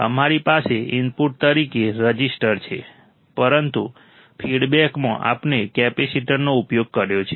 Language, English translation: Gujarati, we have a resistor as an input, but in the feedback we have used a capacitor